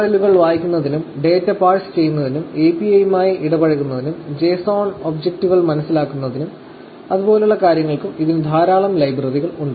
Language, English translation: Malayalam, And, it also has a lot of libraries for reading URLs, parsing data, interact with API, and understanding the JSON objects, and things like that